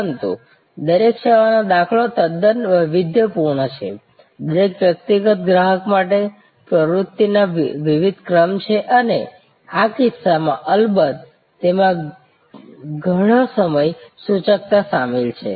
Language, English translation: Gujarati, But, each service instance is quite customized, there are different sequences of activities for each individual customer and in these cases of course, there is lot of scheduling involved